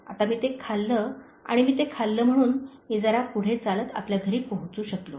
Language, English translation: Marathi, Now, I ate it and because I ate it, I was able to walk little further and reach our home